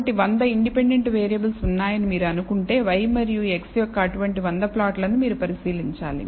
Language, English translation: Telugu, So, if you assume there are 100 independent variables, you have to examine 100 such plots of y versus x